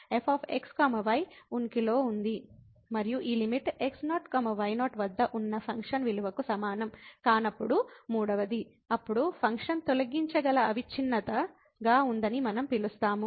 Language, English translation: Telugu, And the third one when this limit is not equal to the function value at naught naught, then we call that the function has removable discontinuity